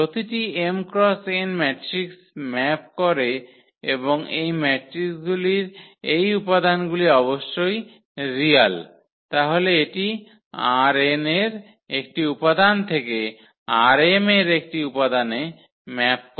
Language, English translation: Bengali, So, every m cross n matrix maps and maps and these entries of these matrices are real of course then it maps an element from R n to an element in R m